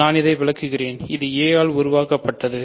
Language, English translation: Tamil, I will explain this, generated by a